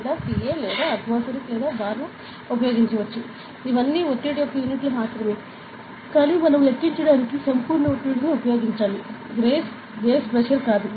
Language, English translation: Telugu, We can use Pascal or atmosphere or bar these are all units of pressure only; but we should use the absolute pressure not the gauge pressure, absolute pressure in the calculation